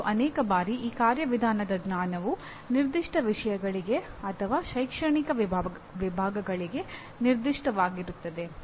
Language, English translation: Kannada, And many times, these procedural knowledge is specific or germane to particular subject matters or academic disciplines